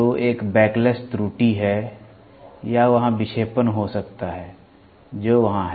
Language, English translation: Hindi, So, there is a backlash error or there can be deflection which is there